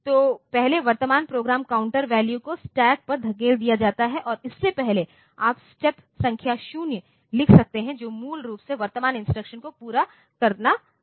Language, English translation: Hindi, So, first the current program counter value is pushed on to stack and before that you can write down step number 0 which is basically finishing the current instruction